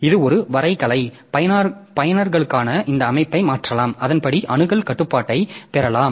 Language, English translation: Tamil, So, it is more graphical so you can change all this setting for these users and accordingly you can get the access control